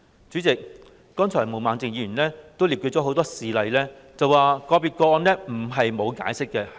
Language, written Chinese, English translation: Cantonese, 主席，剛才毛孟靜議員也列舉了很多事例，說明其他國家對個別個案並非沒有解釋。, President Ms Claudia MO has given many examples earlier to disprove the claim that other countries do not give explanations on individual cases